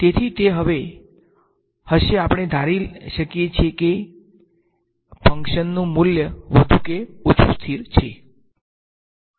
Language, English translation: Gujarati, So, it will be now we can assume that the value of the function is more or less constant